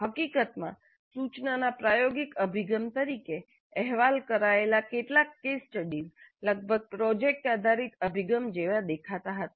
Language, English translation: Gujarati, In fact as I mentioned some of the case studies reported as experiential approach to instruction almost look like project based approaches